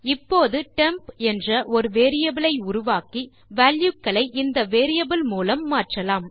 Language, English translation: Tamil, We now create a variable say, temp and swap the values using this variable